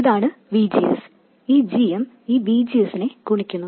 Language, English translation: Malayalam, This is VGS and this GM multiplies this VGS